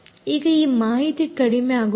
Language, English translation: Kannada, now, this is insufficient